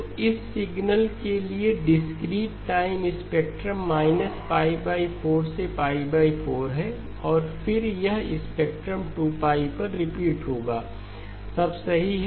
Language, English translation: Hindi, So the discrete time spectrum for this signal is –pi by 4 to pi by 4 and then this spectrum will repeat at 2pi alright